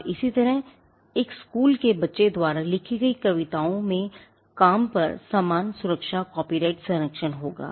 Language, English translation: Hindi, And similarly, poems written by an school kid would have similar protection copyright protection over the work